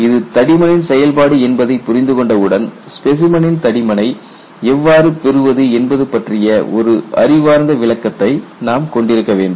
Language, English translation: Tamil, Once they understood it is a function of thickness, then you have to have a rationalization, how you should arrive at the thickness of the specimen